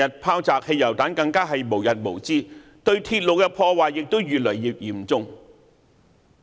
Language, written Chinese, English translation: Cantonese, 拋擲汽油彈的事件更無日無之，對鐵路的破壞亦越來越嚴重！, Throwing of petrol bombs has become a daily happening and vandalism against railway facilities has become more serious